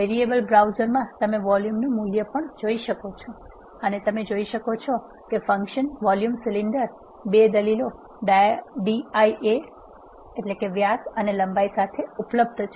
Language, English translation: Gujarati, In the variable browser you can also see value of volume and you can also see that the function volume cylinder is available with two arguments dia and length